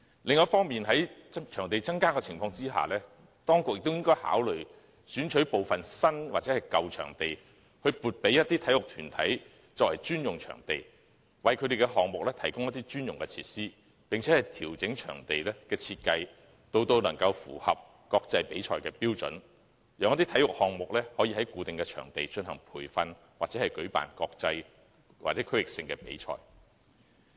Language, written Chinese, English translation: Cantonese, 另一方面，在場地有所增加的情況下，當局亦應考慮選取部分新或舊場地，撥給某些體育團體作為專用場地，為其項目提供專用設施，並調整場地的設計至符合國際比賽的標準，讓一些體育項目可以在固定的場地進行培訓，以及舉辦國際或區域性的比賽。, On the other hand given the increase in the number of venues consideration should be given to identifying some new or old venues and assigning them to sports bodies for use as dedicated venues so that dedicated sports facilities can be provided for them . Meanwhile the design of venues should be adjusted to meet the standard for hosting international competitions so that some sports can undertake training at fixed venues and international or regional competitions can be hosted